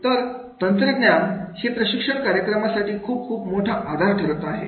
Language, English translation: Marathi, So technology is becoming a very great support to the use of the mechanism for the training programs